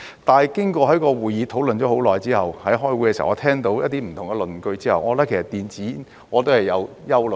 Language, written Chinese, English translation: Cantonese, 但是，經過會議上討論了很久，我在開會的時候聽到一些不同的論據之後，我對電子煙亦是有憂慮的。, However after lengthy discussion at the meetings I also have some concerns over e - cigarettes upon hearing some different arguments during the meetings